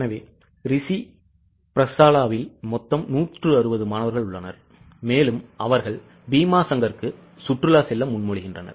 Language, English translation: Tamil, So, Rishi Patshalla has total of 160 students and they are proposing to go for a picnic to Bhima Shankar